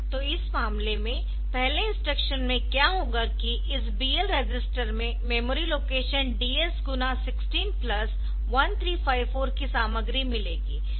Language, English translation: Hindi, So, in this case, in the first instruction, what will happen is that this BL register will get the content of memory location 1354 h